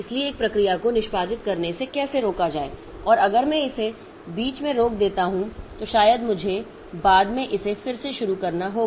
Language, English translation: Hindi, So, how to take the, how to stop you one process executing and if I stop it in between then maybe I need to restart it later